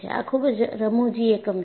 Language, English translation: Gujarati, It is a very very funny unit